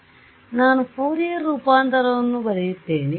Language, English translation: Kannada, So, I will just write down the Fourier transform